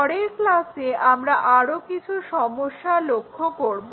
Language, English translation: Bengali, Let us look at more problems in the next class